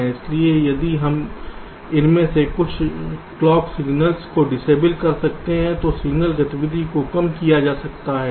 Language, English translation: Hindi, so if we can disable some of these clock signals, then the signal activity can be reduced